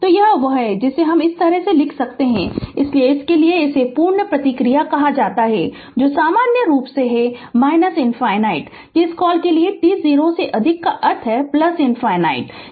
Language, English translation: Hindi, So, this is your what you call this way you can write, so for that this is called the complete response, that is in general minus infinity to your what you call that t greater than 0 means plus infinity